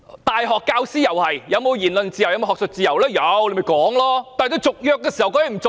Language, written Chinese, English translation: Cantonese, 大學教師享有言論自由、學術自由，但政府可以不跟他們續約。, A university lecturer enjoys freedom of speech and academic freedom but the Government can refuse to renew his contract